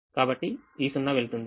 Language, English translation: Telugu, this zero will become one